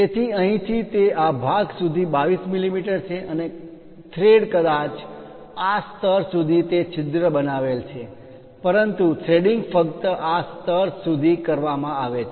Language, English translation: Gujarati, So, from here it is 22 mm up to this portion and thread perhaps the object size is up to that hole might be created up to this level, but threading is done up to this level only